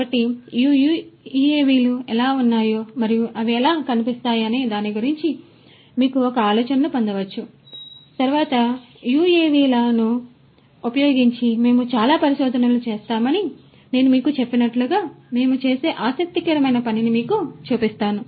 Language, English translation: Telugu, So, that you can get an idea about how these UAVs are and how they look like and next let me show you an interesting thing we do as I told you that we do a lot of research using UAVs